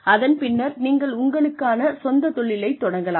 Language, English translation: Tamil, And then, you can go and start your own business